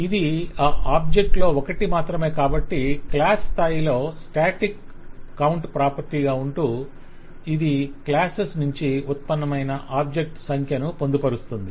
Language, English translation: Telugu, but at a class level we will have a static count property which will keep the count of the objects that have been construct